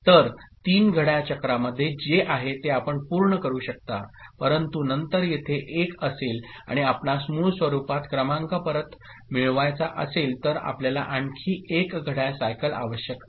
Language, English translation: Marathi, So, you can complete the reading what is there in three clock cycle, but then will be having 1 over here and you want to get back the number in its original form then you need one more clock cycle